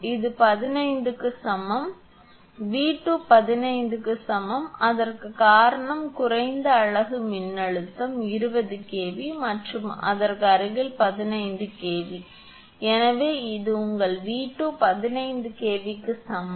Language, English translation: Tamil, So, 15 is equal to because V 2 is equal to 15 is given, adjacent because lowest unit voltage is 20 kV and adjacent to that is 15 kV, therefore this your V 2 is equal to 15 kV